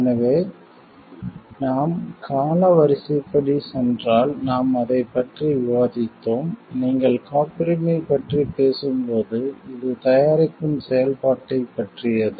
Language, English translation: Tamil, So, if we go chronologically the way it we have discussed about it like, it is the when you are talking of patenting it is about the functioning of the product